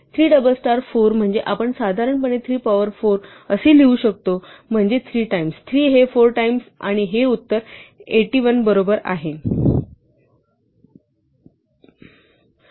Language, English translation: Marathi, 3 double star 4 is what we would write normally as 3 to the power 4 is 3 times, 3 times, 3 four times right and this is 81